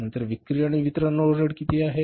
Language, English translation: Marathi, How much is the selling and distribution overheads